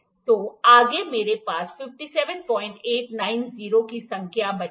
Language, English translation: Hindi, So, next I am left with the number 57